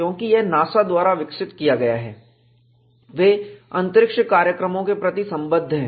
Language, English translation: Hindi, Because it is developed by NASA, they were concerned with a space program